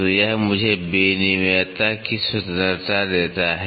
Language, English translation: Hindi, So, this gives me the freedom of interchangeability